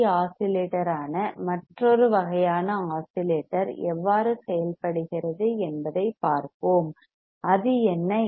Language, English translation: Tamil, So, in the next module let us see how the another kind of oscillator works that is your LC oscillator; what is that